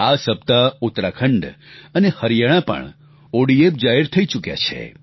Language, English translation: Gujarati, Uttarakhand and Haryana have also been declared ODF, this week